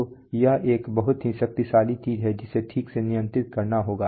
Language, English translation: Hindi, So here is a very powerful thing which will have to control precisely